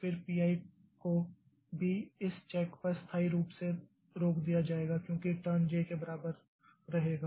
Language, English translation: Hindi, I will also be stopped permanently at this check because turn will remain equal to J